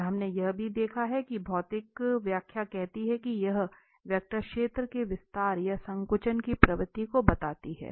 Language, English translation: Hindi, And we have also seen that the physical interpretation says that this tells the tendency of the vector field to expand or to compress